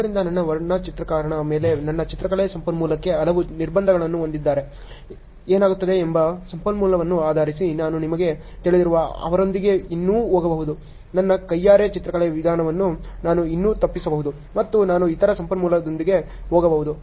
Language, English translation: Kannada, So, based on the type of resource what happens if I have many constraints on my painting resource on my painter I can still go with them you know; I can still avoid my manual method of painting and I can go with the other resource